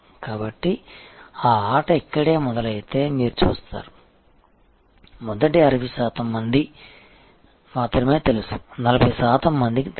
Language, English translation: Telugu, So, you see if that games starts right here in the very first only 60 percent people are aware, 40 percent not aware